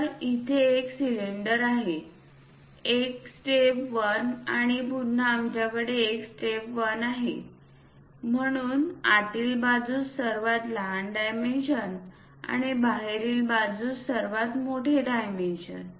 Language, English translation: Marathi, So, here it is one cylinder, a step 1 and again we have a step 1; So, smallest dimensions inside and largest dimensions outside